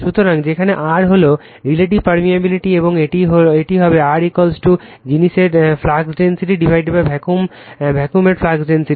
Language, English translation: Bengali, So, mu where mu r is the relative permeability and is defined as mu r is equal to flux density in the material divided by flux density in a vacuum right